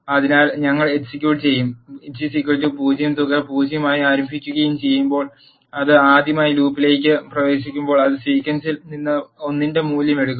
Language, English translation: Malayalam, So, when we execute and sum is equal to 0 it will initialize the sum to 0, for the first time it enters into the loop it will take value of 1 from the sequence